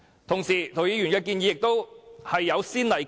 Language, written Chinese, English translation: Cantonese, 同時，涂謹申議員的建議也有先例。, At the same time precedents have already been set for Mr James TOs proposal